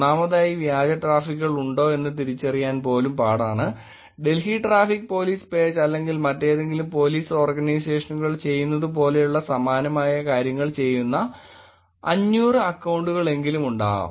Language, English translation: Malayalam, First of all even to identify whether there are fake handles, 500 accounts which are doing the similar things that the Delhi Traffic Police page is doing or any other Police Organizations